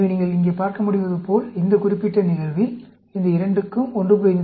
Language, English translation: Tamil, So, as you can see here, in this particular case, these two got 1